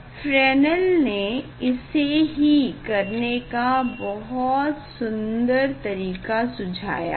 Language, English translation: Hindi, that is what Fresnel s that he suggested very beautiful way to do that